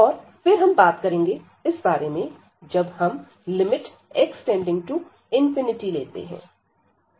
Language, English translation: Hindi, And then we will be talking about, when we take this limit x approaches to infinity